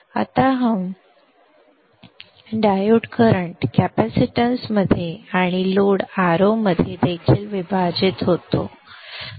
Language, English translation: Marathi, Now this diode current splits into the capacitance and also into the load or not